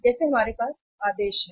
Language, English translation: Hindi, Like that we have the orders